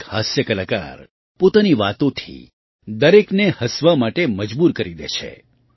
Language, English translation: Gujarati, A comedian, with his words, compelles everyone to laugh